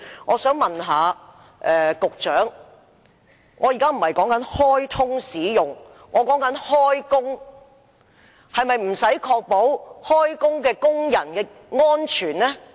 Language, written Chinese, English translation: Cantonese, 我說的不是開通使用而是開工，是否不用確保工人的安全？, I am not talking about commissioning of HZMB but commencement of work by workers . Is it not necessary to safeguard workers safety?